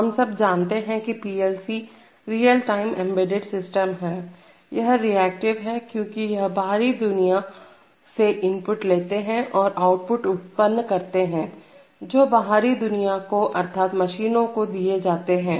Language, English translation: Hindi, So, as we all know that PLCs are real time embedded systems, they are, they are reactive in the sense that they accept inputs from the external world and produce outputs which go to the external world namely the machines